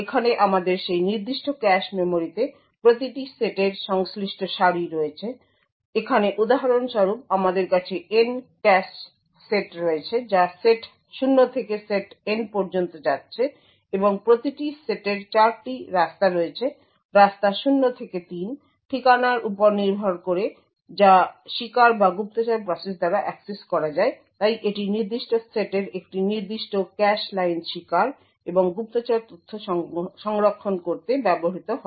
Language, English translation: Bengali, So over here we have rows corresponding to each set in that particular cache memory, so here for example we have N cache sets going from set 0 to set N and each set has 4 ways, way 0 to way 3, so depending on the address that is accessed by the victim or the spy process so one particular cache line in a particular set is used to store the victim and the spy data